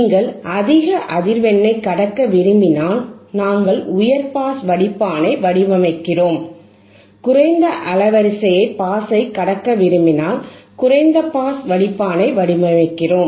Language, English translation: Tamil, We have seen that if you want to pass highhype band frequency, we design a high pass filter, and if hwe wouldwant not design the lo to pass low band of frequency, we design a low pass filter,